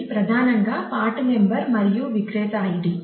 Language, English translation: Telugu, So, it is primarily part number and vendor id